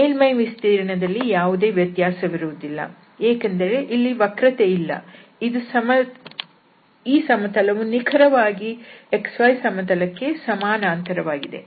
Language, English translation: Kannada, So, there will be no difference in the surface area or because there is no curvature there, it is exactly parallel plane to this xy plane